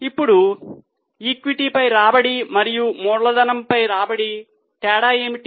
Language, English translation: Telugu, Now what is the difference with return on equity and return on capital